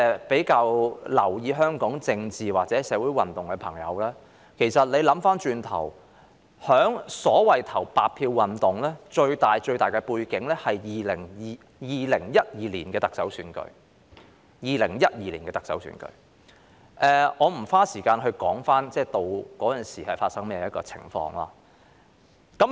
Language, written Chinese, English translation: Cantonese, 比較留意香港政情或社會運動的人士如回頭細想，白票運動的最大背景其實是2012年的特首選舉，但我不會在此花時間闡述當時情況。, For those who have been paying closer attention to Hong Kongs political situations or social movements if they recall in detail the blank vote movement was staged largely against a background of the 2012 Chief Executive Election . But I will not spend time now elaborating the situation back then